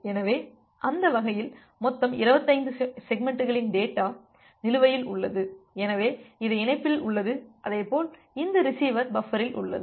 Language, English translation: Tamil, So, that way total 25 segments of data can be there which is outstanding, so which is there in the link as well as which is there in this receiver buffer